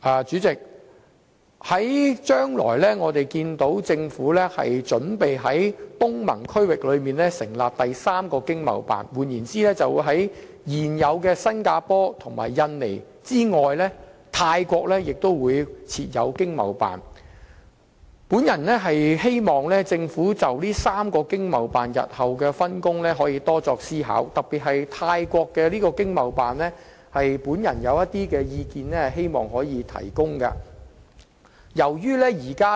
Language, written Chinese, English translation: Cantonese, 主席，既然政府準備在東盟區域成立第三個經濟貿易辦事處，即在現有的新加坡及印尼經貿辦之外，設立泰國經貿辦，我希望政府可以就這3個經貿辦日後的分工多作思考，特別是泰國經貿辦，就此我希望提供一些意見。, President since the Government is about to set up the third ETO in ASEAN countries that is set up a new ETO in Thailand apart from the existing ones in Singapore and Indonesia . I hope that the Government will give some more consideration to the future distribution of work among the three ETOs especially the one in Thailand . I would like to express some of my thoughts in this regard